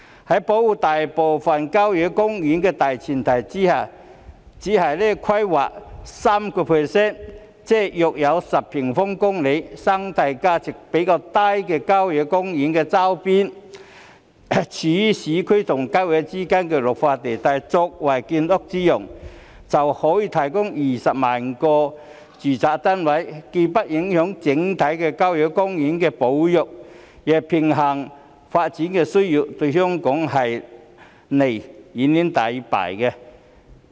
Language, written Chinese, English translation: Cantonese, 在保護大部分郊野公園的大前提下，只是規劃當中 3%， 即約10平方公里生態價值較低的郊野公園周邊、位處市區和郊野公園之間綠化地帶作為建屋之用，可以提供20萬個住宅單位，既不影響整體郊野公園的保育，亦平衡發展的需要，對香港是利遠遠大於弊。, On the premise of protecting most of the country parks the planning of only 3 % of the sites with relatively low ecological value on the periphery of country parks and the green belt areas located between urban areas and country parks for housing construction providing 200 000 residential units will not only have no impact on the overall conservation of country parks but will also balance the development needs . The advantages for Hong Kong have far outweighed the disadvantages